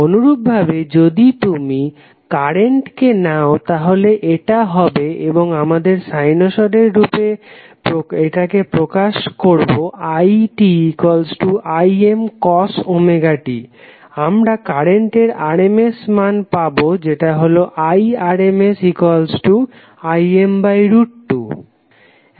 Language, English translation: Bengali, Similarly if you take current that is it and we represent it in terms of sinusoid as Im cos omega t we will get the rms value of current that is Irms equal to Im by root 2